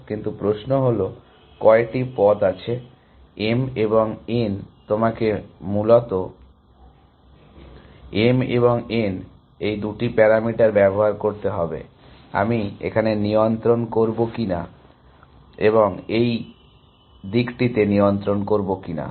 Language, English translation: Bengali, But, the question is how many paths are there, m and n you have to use two parameters m and n essentially, whether I m adjust here and n adjust in this direction